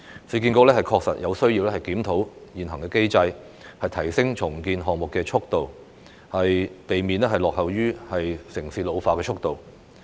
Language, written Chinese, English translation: Cantonese, 市建局確實有需要檢討現行機制，提升重建項目的速度，避免落後於城市的老化速度。, The pace of redevelopment is rather slow . It is really necessary for URA to review the existing mechanism with a view to expediting the implementation of redevelopment projects to avoid lagging behind the pace of urban ageing